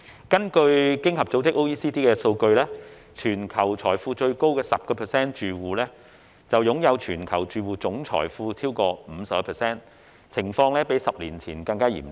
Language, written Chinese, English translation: Cantonese, 根據經濟合作與發展組織的數據，全球財富最高的 10% 住戶擁有全球住戶超過 50% 的總財富，情況較10年前更嚴重。, According to the data released by the Organisation for Economic Co - operation and Development OECD the wealthiest 10 % of households in the world own over 50 % of all household wealth . Such situation is more serious now than that a decade ago